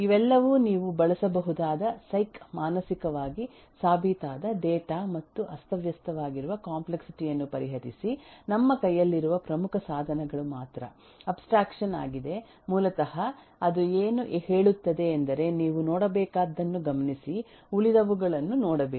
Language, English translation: Kannada, These are all psyhc psychologically proven data that eh you can you can use and therefore to address the disorganized complexity, only major tools that we have in hand is abstraction which basically what it says that just look into what you need to look into, don’t look into the rest